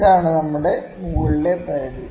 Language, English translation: Malayalam, This is again our upper bound